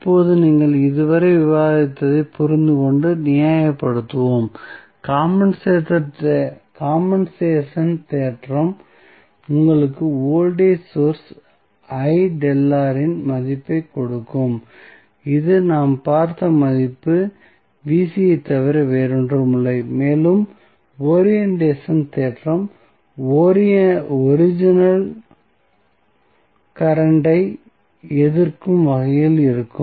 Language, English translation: Tamil, Now, let us understand and justify our understanding what we have discussed till now, the compensation theorem will give you the value of voltage source I delta R that is nothing but the value Vc which we have seen and the look the orientation would be in such a way that it will oppose the original current